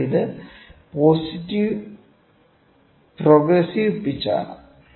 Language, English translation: Malayalam, So, this is progressive pitch, ok